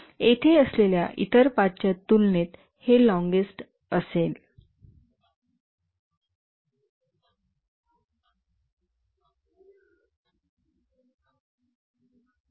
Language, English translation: Marathi, This will be the longest compared to the other paths that are present here